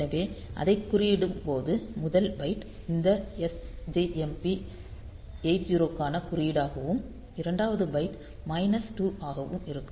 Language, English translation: Tamil, So, while coding it; so, the first byte will be the code for this sjmp 80 and the second byte will be minus 2